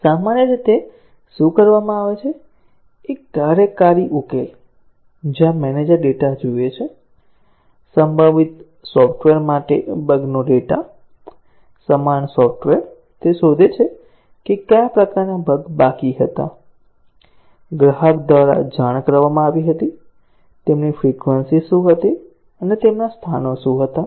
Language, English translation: Gujarati, Normally, what is done is, a working solution, where the manager looks at the data, the error data for related software; similar software; he finds out, what were the types of bug that were remaining, were reported by the customer; what was their frequency and what were their locations